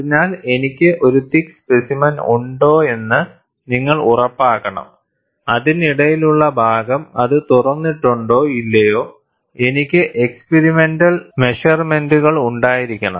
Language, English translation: Malayalam, So, you have to ensure that, if I have a thick specimen, the in between portion whether it has opened or not, I have to have experimental measurement